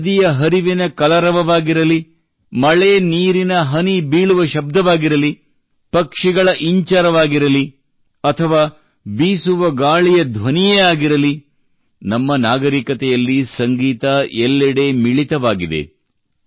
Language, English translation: Kannada, Be it the murmur of a river, the raindrops, the chirping of birds or the resonating sound of the wind, music is present everywhere in our civilization